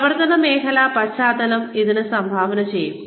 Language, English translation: Malayalam, Functional area background will contribute to this